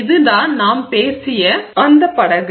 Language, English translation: Tamil, This is the boat that we spoke about